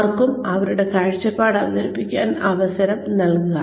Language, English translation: Malayalam, Please give them a chance to present their point of view also